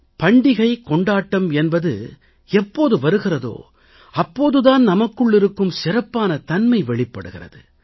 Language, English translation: Tamil, And when there is a festive mood of celebration, the best within us comes out